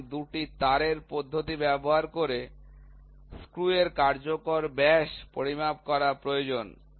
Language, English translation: Bengali, So, it is required to measure the effective diameter of a screw using a two wire method